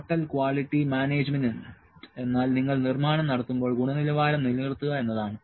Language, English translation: Malayalam, Total quality management is the maintaining the quality while you are manufacturing